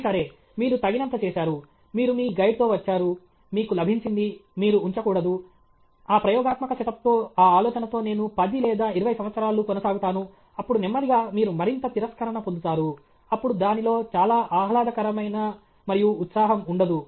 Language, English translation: Telugu, Is it, okay, you have done enough, you got with your guide, you got the… you should not keep… you should not think that with that experimental setup, with that idea I will proceed for 10 or 20 years, then slowly you will get more and more rejection; then, there will not not be much fun and excitement in that